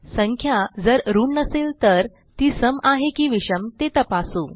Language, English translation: Marathi, if the number is not a negative, we check for even and odd